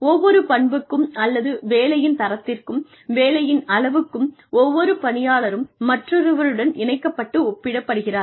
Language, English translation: Tamil, For, every trait or quality of work, quantity of work, etcetera, every employee is paired and compared with another